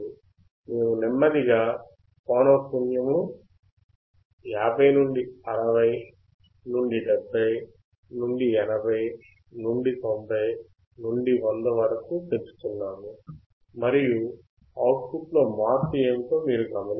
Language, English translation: Telugu, we are slowly increasing the frequency from 50 to 60 to 70 to 80 to 90 to 100, and you will see what is the change in the output